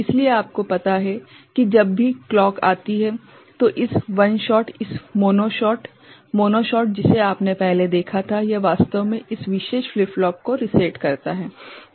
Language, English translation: Hindi, So, every time you know the clock comes, this one shot this mono shot the mono shot that you had seen before ok, it actually is you know resetting this particular flip flop